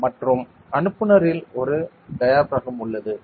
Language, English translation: Tamil, And in the sender, there is a diaphragm ok